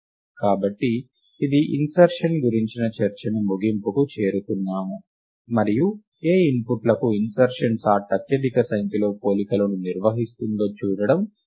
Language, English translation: Telugu, So, this brings to end the discussion of insertion sort, and it is instructive to see on what input insertion sort performs the most number of comparisons